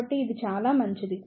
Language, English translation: Telugu, So, it is fairly good